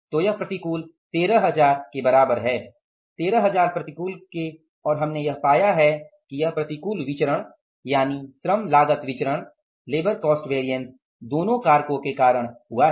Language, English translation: Hindi, 6,400 adverse plus 6,600 adverse so this is 13,000 adverse is equal to 13,000 adverse and we have found out that this adverse variance that is the labor cost variance has been because of both the factors